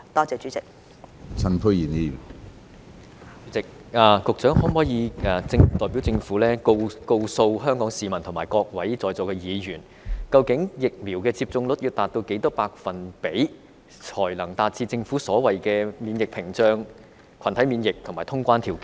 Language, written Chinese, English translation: Cantonese, 主席，局長可否代表政府告訴香港市民和各位在座議員，究竟疫苗接種率要達到多少百分比，才能達致政府所謂的免疫屏障、群體免疫和通關條件？, President can the Secretary on behalf of the Government tell the people of Hong Kong and Members here what percentage of vaccination has to be achieved before the conditions for the Governments so - called immunity barrier herd immunity and the free flow of people can be met?